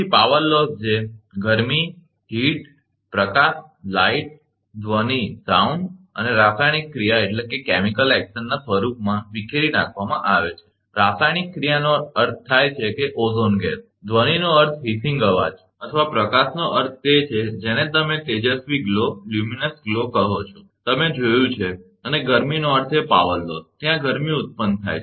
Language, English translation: Gujarati, So, loss of power which is dissipated in the form of heat, the light, sound and chemical action, chemical action means ozone gas, sound means hissing noise, or light means your what you call luminous glow, you have seen and heat means a power loss, is there that heat will be generated right